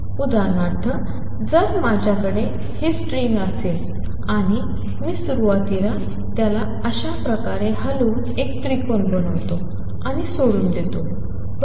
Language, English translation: Marathi, For example if I have this string and I initially disturb it like this I am make a triangle and leave it, right